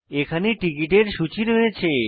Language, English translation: Bengali, List of tickets is given here